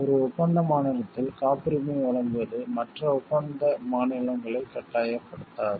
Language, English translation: Tamil, The granting of a patent in one contracting state does not oblige other contracting states